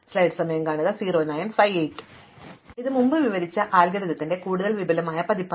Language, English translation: Malayalam, So, this is a more elaborate version of the algorithm that we described earlier